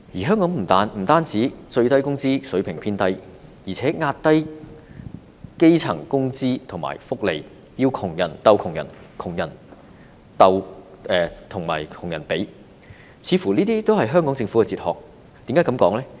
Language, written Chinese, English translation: Cantonese, 香港不單最低工資水平偏低，而且壓低基層的工資和福利，要窮人鬥窮人、窮人和窮人比，似乎也是香港政府的哲學。, In Hong Kong a comparatively low minimum wage aside it also seems to be the philosophy of the Hong Kong Government to suppress the wages and welfare of the grass roots pitting the poor against their likes and making the poor compare with their likes